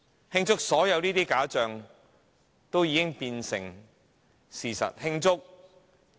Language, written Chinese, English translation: Cantonese, 慶祝所有假象都已變成事實嗎？, To celebrate that all the illusions have become reality?